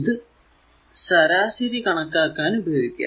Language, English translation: Malayalam, So, if you take the average